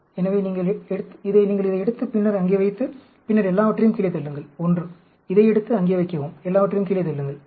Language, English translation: Tamil, So, you take this, and then, put it there, and then push everything down 1; take this, put it there; push everything down 1